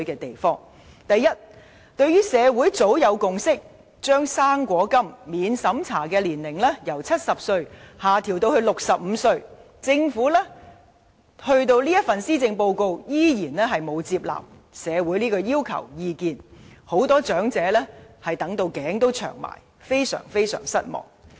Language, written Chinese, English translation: Cantonese, 第一，對於社會早有共識，把"生果金"免資產審查年齡由70歲下調至65歲，政府在這份施政報告仍然沒有接納社會的要求和意見，很多長者等待多時，感到非常失望。, First society have long since reached a consensus that the eligible age for non - means tested fruit grant should be adjusted downward from 70 to 65 yet the Government still does not incorporate societys demands and opinions in this Policy Address . Many elderly people have been waiting for ages and are left highly disappointed